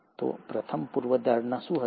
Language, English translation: Gujarati, So, what was the first hypothesis